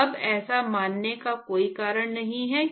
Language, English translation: Hindi, So now, there is no reason to assume that